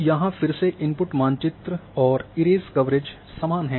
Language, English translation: Hindi, So, again input map is same this erase coverage is same